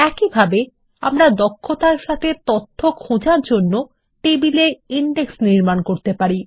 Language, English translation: Bengali, Similarly, we can build table indexes to locate the data efficiently